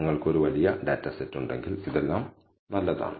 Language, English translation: Malayalam, All this is good if you have a large data set